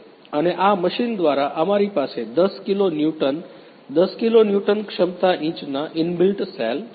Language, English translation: Gujarati, And with this machine we have inbuilt load cells of 10 kilo newton 10 kilo newton capacity inch